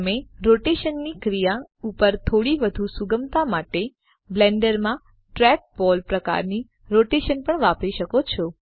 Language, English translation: Gujarati, You can also use the trackball type of rotation in Blender for little more flexibility over the action of rotation